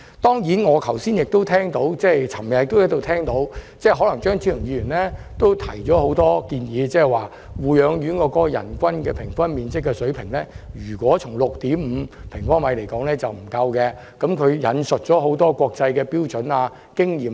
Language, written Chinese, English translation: Cantonese, 當然，我昨天亦聽到張超雄議員提出了很多意見，指出若護養院人均樓面面積為 6.5 平方米，並不足夠，又引述了很多國際標準和經驗。, Certainly yesterday I also heard Dr Fernando CHEUNG present many views stating that it would not be sufficient if the area of floor space for each resident in nursing homes was 6.5 sq m He also cited a lot of international standards and experience